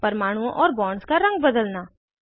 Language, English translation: Hindi, Change the color of atoms and bonds